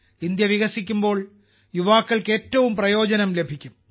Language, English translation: Malayalam, When India turns developed, the youth will benefit the most